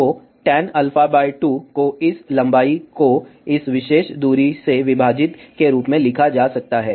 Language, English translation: Hindi, So, tan alpha by 2 can be written as this length divided by this particular distance